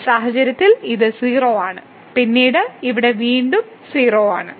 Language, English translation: Malayalam, So, in this case it is a 0 and then here it is again 0